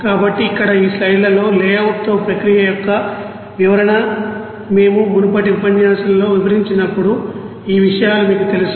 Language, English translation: Telugu, So here in this slides that description of the process with layout is you know shown when we have described it in previous lecture also